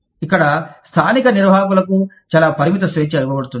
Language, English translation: Telugu, Here, very limited freedom is given, to the local managers